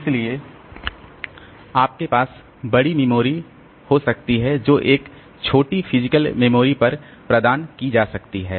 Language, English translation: Hindi, So, you can have large memory that can be provided on a smaller physical memory